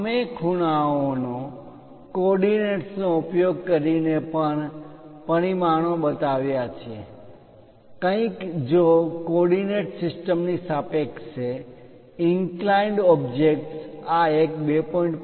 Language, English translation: Gujarati, Using angles, coordinates also we have shown the dimensions, something like if there is an inclined object with respect to coordinate system this one 2